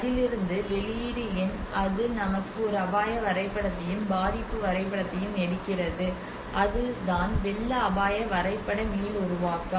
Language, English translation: Tamil, And what is the output out of it it takes us a hazard map, and the vulnerability map, and that is how a flood tisk map regeneration